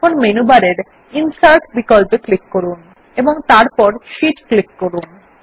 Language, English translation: Bengali, Now click on the Insert option in the menu bar then click on Sheet